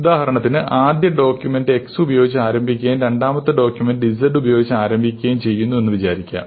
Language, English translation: Malayalam, So, supposing the document, first document starts with an x and the second document starts with a z